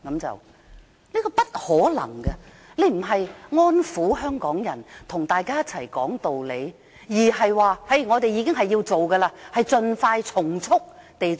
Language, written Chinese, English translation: Cantonese, 這是不可能的，她不是安撫香港人，跟大家一起說道理，而是說一定要做，更要盡快和從速地做。, This is simply impossible . But instead of allaying Hong Kong peoples anxieties and convincing them with good reasons she simply says that a local law must be enacted as soon as possible and as quickly as possible